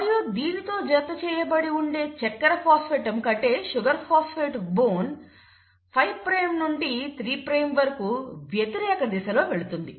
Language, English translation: Telugu, And the sugar phosphate bone which holds it together will be going in the opposite direction, 5 prime to 3 prime